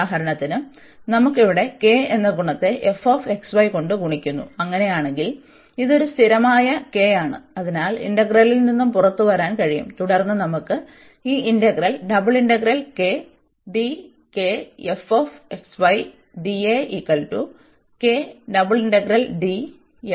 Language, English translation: Malayalam, So, for example we have here the k multiplied by this function f x, y and in that case this is a constant k, so that can just come out the integral, and then we have this integral d f x, y d A